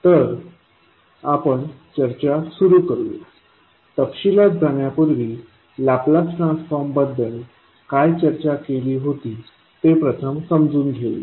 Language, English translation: Marathi, So, let us start our discussion before going into the detail lets first understand what we discussed when we were discussing about the Laplace transform